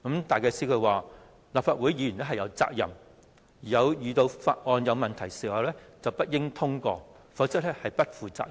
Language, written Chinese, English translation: Cantonese, 戴啟思表示，《條例草案》有問題，立法會議員有責任不應通過，否則便是不負責任。, Philip DYKES said that when the Bill was not in order Legislative Council Members were duty - bound not to pass it; otherwise that was a dereliction of duty on their part